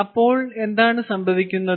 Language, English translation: Malayalam, so then what happens now